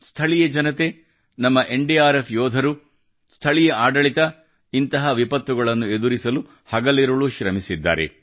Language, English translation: Kannada, The local people, our NDRF jawans, those from the local administration have worked day and night to combat such calamities